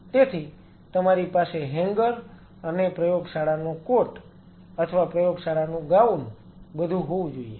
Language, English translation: Gujarati, So, you have to have a hanger and everything for the lab coat or the lab gowns then you have to have the place for the mask